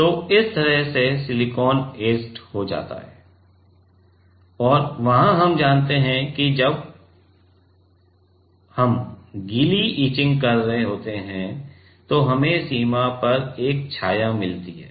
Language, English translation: Hindi, So, this is how the silicon get etched and, there we know that while we are doing wet etching, we get a shadow at the border right